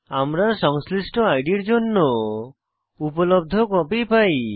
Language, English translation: Bengali, Here, we get the availablecopies for corresponding id